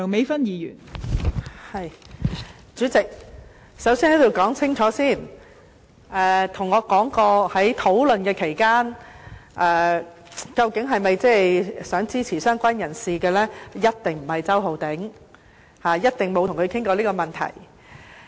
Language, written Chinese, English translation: Cantonese, 代理主席，首先，我要在此說清楚，在討論期間曾跟我談到是否想支持"相關人士"的人，一定不是周浩鼎議員，我一定沒有與他談過這問題。, Deputy Chairman first of all let me make it clear that it was definitely not Mr Holden CHOW who in the course of the discussion talked with me about whether or not to support the amendment concerning related person . I definitely did not discuss it with him